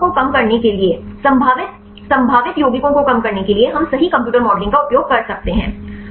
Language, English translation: Hindi, So, to reduce these samples, to reduce the probable potential compounds right we can use the computer modeling right